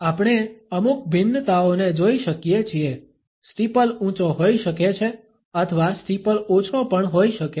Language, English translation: Gujarati, We can look at certain variations, the steeple can be high or the steeple can also be low